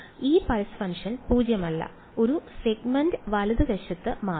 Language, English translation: Malayalam, So, this pulse function is non zero only over one segment right